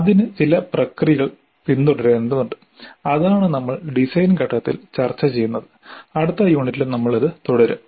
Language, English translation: Malayalam, That is what we have been discussing in the design phase and we will continue with this in the next unit